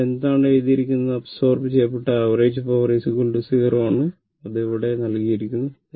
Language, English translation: Malayalam, What it has been written here that, the average power absorbed is equal to 0 that is here it is given